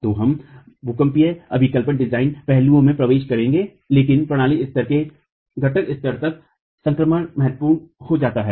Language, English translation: Hindi, So, we will get into seismic design aspects, but the transition from the system level to the component level becomes important